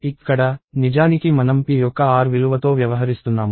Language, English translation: Telugu, Here, actually we are dealing with the r value of p